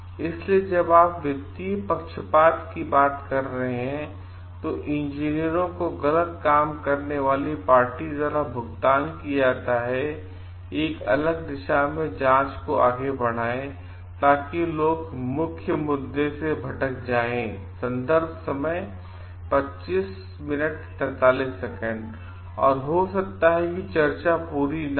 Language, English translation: Hindi, So, when you are talking of financial biases, engineers are paid by the party to at fault to move the investigations in a different directions so that the people get lost and they have to start at and may be the discussion does not get completed